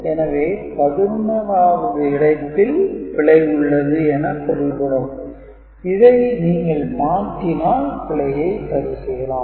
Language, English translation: Tamil, So, 11th position there is error and if you flip it in you can get the corrected bit, ok